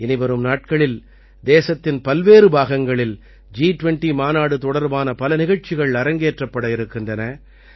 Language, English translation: Tamil, In the coming days, many programs related to G20 will be organized in different parts of the country